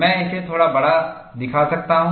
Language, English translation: Hindi, I can show it little bit